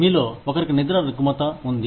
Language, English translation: Telugu, One of you, have a sleeping disorder